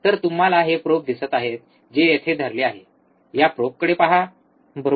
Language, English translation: Marathi, So, you see this probe that is holding here, look at this probe, right